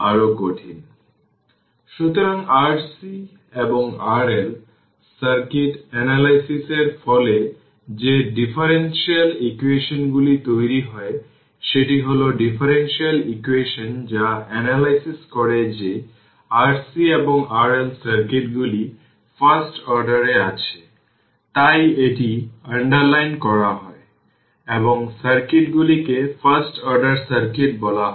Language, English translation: Bengali, So, the differential equations resulting from analyzing R C and R L circuit, that is your the differential equation resulting analyzing that R C and R L circuits are of the first order right hence it is underlined the circuits are known as first order circuits